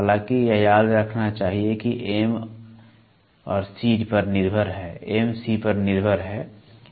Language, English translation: Hindi, However, it must be remembered that M is dependent upon C